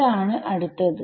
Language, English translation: Malayalam, T a has to be next